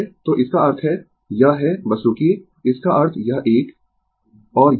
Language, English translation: Hindi, So, that means, it is ah ah just just hold on that means this one